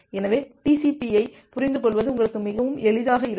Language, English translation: Tamil, So, that way understanding TCP will be much easier for you